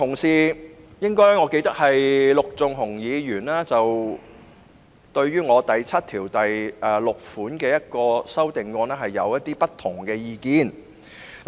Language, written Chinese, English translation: Cantonese, 此外，我記得陸頌雄議員對於我就《條例草案》第76條提出的修正案持不同意見。, Moreover I recall that Mr LUK Chung - hung held different views about my amendment to clause 76 of the Bill